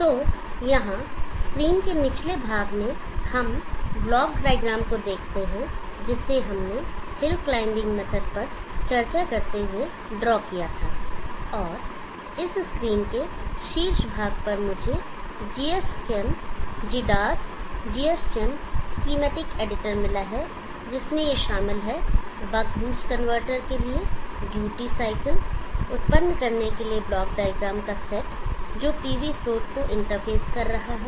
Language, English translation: Hindi, So here at the bottom part of the screen we see the block diagram that we drew while discussing the hill climbing method, and on the top part of this screen I am having the GSM, GDS GSMs schematic editor in which I have included these set of block diagram to generate the duty cycle for the buck boost convertor which is interfacing the PV source